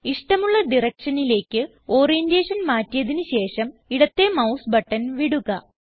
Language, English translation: Malayalam, Change orientation in the desired direction and release the left mouse button